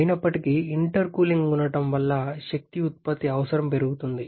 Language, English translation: Telugu, However, because of the presence of intercooling there is an increase in the energy output requirement